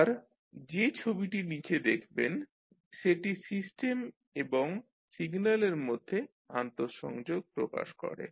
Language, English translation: Bengali, Now, the figure which you see below will represent the interconnection of the systems and signals